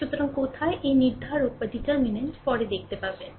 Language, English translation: Bengali, So, where this determinant that will see later